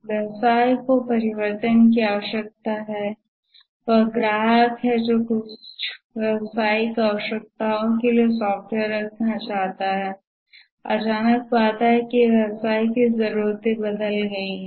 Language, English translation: Hindi, The business needs change, that is the customer who wanted to have the software for certain business needs, suddenly finds that the business needs has changed